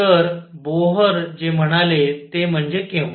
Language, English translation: Marathi, So, what Bohr said is that when